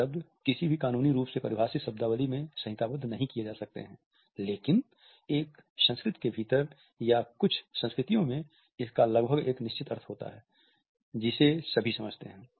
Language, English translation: Hindi, This may not exactly be codified in any legal term of the word, but within a culture or across certain cultures it has almost a fixed the meaning which is understood by all